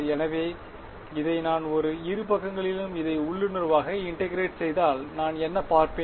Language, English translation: Tamil, So, if I integrate this intuitively if I integrate this on both sides what will I see